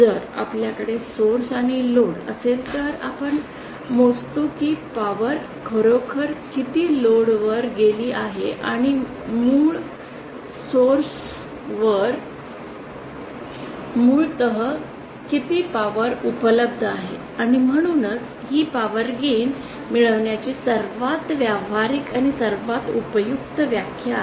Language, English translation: Marathi, If we have a source and load then we measure how much power has actually gone to the load and how much power was originally available from the source and that’s why this is the most practical and most useful definition of power gain